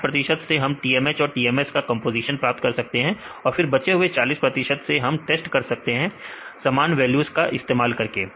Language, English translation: Hindi, 60 percent we use to get the composition for the TMH and the TMS, then remaining 40 percent we use to test right use the same values